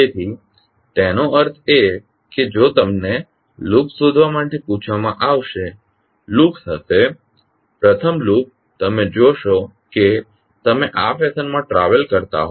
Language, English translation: Gujarati, So that means if you are asked to find out the loops, loops will be, first loop you will see as you travel in this fashion